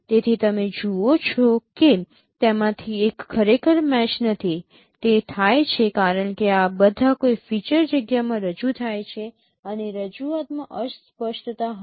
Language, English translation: Gujarati, So you see that one of them is not really a match match it happens because these are all represented in a feature space and there would be ambiguities in representation